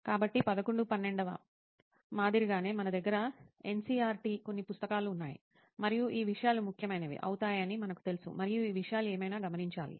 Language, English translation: Telugu, So like in 11th, 12th we have NCERT few books, and we know that these things are going to be important thing and we have to note these things whatever it is